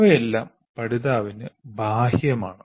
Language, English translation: Malayalam, All these are external to the learner